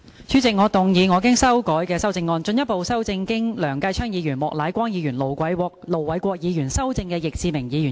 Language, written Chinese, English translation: Cantonese, 主席，我動議我經修改的修正案，進一步修正經梁繼昌議員、莫乃光議員及盧偉國議員修正的易志明議員議案。, President I move that Mr Frankie YICKs motion as amended by Mr Kenneth LEUNG Mr Charles Peter MOK and Ir Dr LO Wai - kwok be further amended by my revised amendment